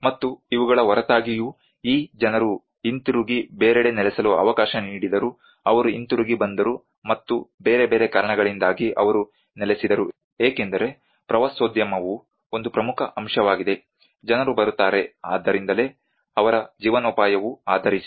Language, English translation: Kannada, And despite of these people given an opportunity to go back and settled somewhere else, they came back and they settled because of various other reasons because tourism is one of the important component, people come so that is where their livelihood is based on